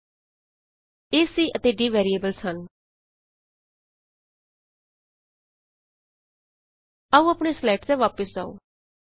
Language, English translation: Punjabi, a, c and d are variables Now come back to our slides